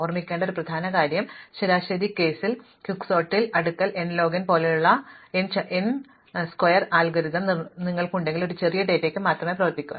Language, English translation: Malayalam, The main thing to remember is that if you have a naive n squared algorithm which is not like quick sort provably n log n in the average case, then this will only work for small data